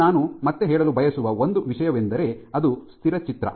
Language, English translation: Kannada, Now one thing I would like to again harp on is that this is a static picture